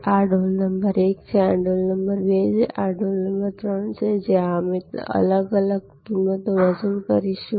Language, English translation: Gujarati, So, this is bucket number 1, this is bucket number 2, this is bucket number 3, where we will be charging different prices